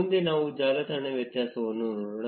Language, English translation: Kannada, Next, let us look at the network diameter